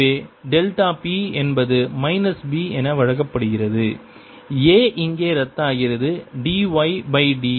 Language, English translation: Tamil, so delta p is given as minus b, a cancels here by d x